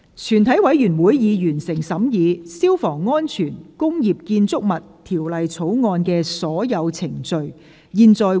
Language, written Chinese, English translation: Cantonese, 全體委員會已完成審議《消防安全條例草案》的所有程序。, All the proceedings on the Fire Safety Bill have been concluded in committee of the whole Council